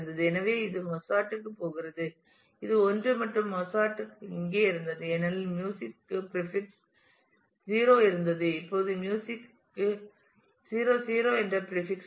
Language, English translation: Tamil, So, this was going to Mozart this was 1 and Mozart was here because music had a prefix 0; now music has a prefix 0 0